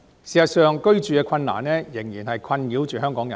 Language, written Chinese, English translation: Cantonese, 事實上，房屋難題仍然困擾香港人。, In fact the housing problem still distresses Hong Kong people